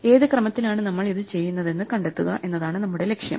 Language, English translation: Malayalam, Our target is to find out in what order we would do it